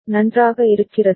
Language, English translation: Tamil, Is it fine